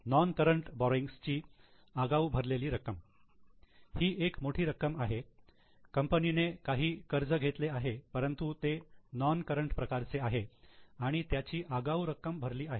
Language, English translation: Marathi, Pre payment of non current borrowings, this is a big amount, company had taken some loan, but it is non current in nature, it has been prepaid